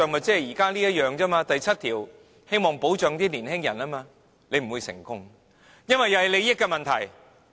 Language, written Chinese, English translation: Cantonese, 這等於現時第7條，希望保障年輕人一樣。它不會成功，因為也是利益問題。, But it is tantamount to clause 7 which aims at protecting young people that is it will meet its Waterloo simply because of the question of interests